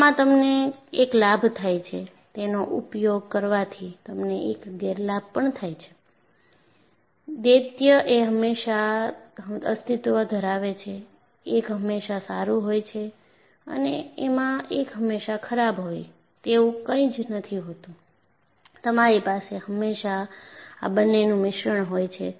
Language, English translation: Gujarati, So, you get one benefit, you get a disadvantage because of using that; duality always exist, there is nothing like one is always good or one is always bad; you always as a mixture of these two